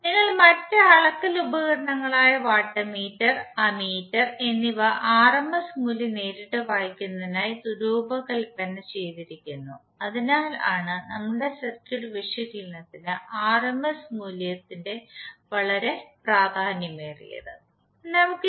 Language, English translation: Malayalam, And our other measuring instruments like voltmeter and ammeter are designed to read the rms value directly, so that’s why the rms value is very important for our circuit analysis